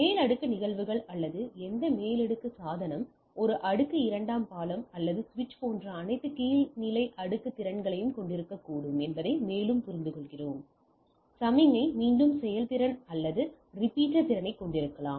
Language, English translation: Tamil, And further we understand that your any upper layer phenomena or any upper layer device can have all the lower layer capabilities like a layer 2 bridge or switch can also have a signal repeating capability, or repeater capability